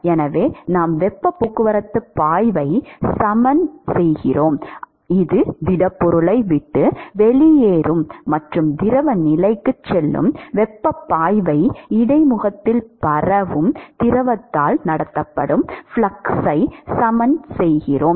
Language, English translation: Tamil, So, it is the we are equating the heat transport flux, flux of heat that leaves the solid and goes into the fluid phase, with the flux that is actually conducted by the fluid because of diffusion at the interface, because the velocity is 0